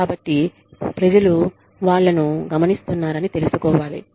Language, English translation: Telugu, So, people should know, that they are being watched